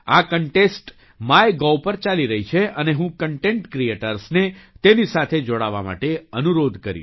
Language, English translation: Gujarati, This contest is running on MyGov and I would urge content creators to join it